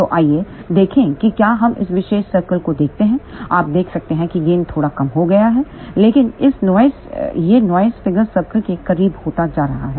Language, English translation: Hindi, So, let us see if we look at this particular circle you can see that gain is reduced slightly, but it is becoming closer to the noise figure circle